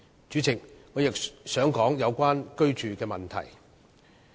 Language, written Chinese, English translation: Cantonese, 主席，我亦想提出有關居住的問題。, Chairman I would like to talk about accommodation too